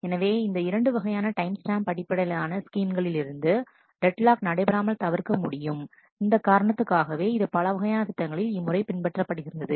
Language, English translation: Tamil, And with these two kind of timestamp based schemes it is possible to actually prevent deadlocks and for that reason these kind of schemes are often preferred in many context